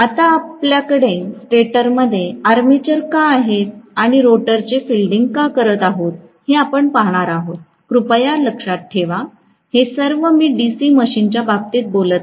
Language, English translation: Marathi, So, we are going to see why we are having the armature in the stator and fielding the rotor, please remember, in the case of DC machine I am going to